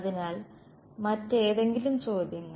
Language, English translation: Malayalam, So, any other questions ok